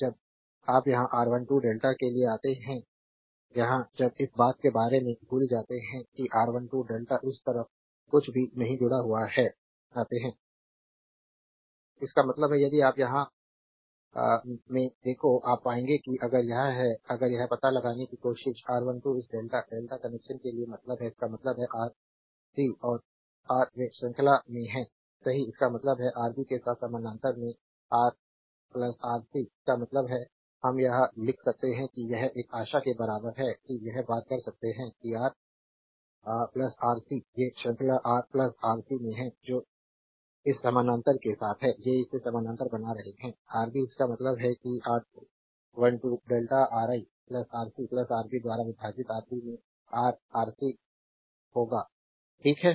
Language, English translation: Hindi, That means, if you look into here, you will find that if it is that if you try to find out here R 1 2 this delta means for delta connection right; that means, Rc and Ra they are in series right; that means, Ra plus Rc in parallel with Rb; that means, we can write this one is equal to hope you can this thing that Ra plus Rc; these 2 are in series Ra plus Rc with that parallel to this one these are making it parallel is Rb that means R 1 2 delta will be Ra plus Rc into Rb divided by Ra plus Rc plus Rb right